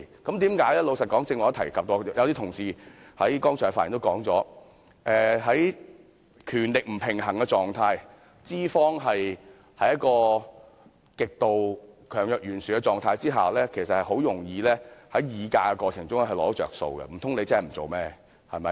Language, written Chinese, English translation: Cantonese, 老實說，正如我剛才也提及，而一些同事剛才發言時也說過，在權力不平衝的情況下，資方在一個極度強弱懸殊的狀態下，其實很容易在議價過程中"找着數"，難道工人可以不幹活嗎？, Honestly as I mentioned just now and as some Honourable colleagues also said in their speeches earlier where there is an imbalance of power and one side having overwhelming superiority over the other side it is actually very easy for employers to take advantage of employees in the course of bargaining . Could the workers quit their jobs?